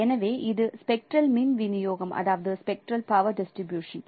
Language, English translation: Tamil, So this is a representation of the color signal in terms of spectral power distribution